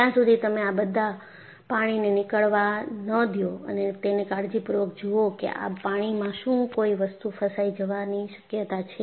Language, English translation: Gujarati, So, unless you allow all these water to drain off and carefully look at whether there is a possibility of entrapment of water